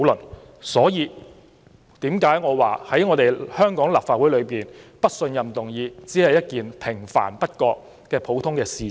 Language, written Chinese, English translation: Cantonese, 此所以我說，在香港立法會提出"不信任"議案，只是平凡不過又普通的事情。, That is why I say that in the Legislative Council of Hong Kong proposing a no - confidence motion is a most mundane and unremarkable affair